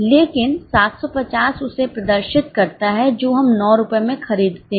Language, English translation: Hindi, But 750 refers is what we purchase at 9 rupees